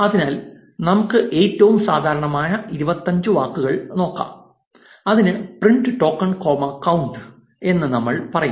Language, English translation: Malayalam, So, let us look at the most common 25 words and we say print token comma count